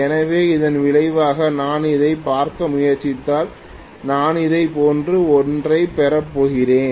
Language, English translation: Tamil, So the resultant if I try to look at it, I am going to get something like this